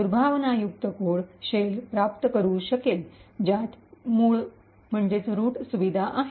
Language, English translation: Marathi, The malicious code for instance could obtain a shell which has root privileges